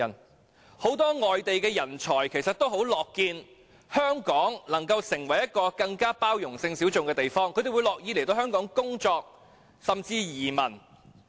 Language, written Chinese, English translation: Cantonese, 其實很多外地人才也很樂見香港成為一個對性小眾更有包容性的地方，他們樂於來港工作，甚至移民。, In fact many overseas talents would be glad to see Hong Kong become a place more tolerant of sexual minorities . They would be glad to come to Hong Kong and work here or even migrate here